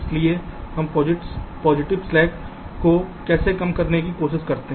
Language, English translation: Hindi, so we try to decrease the positive slacks and try to make them zero